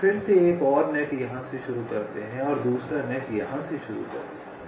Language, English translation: Hindi, we again start another net from here and another net from here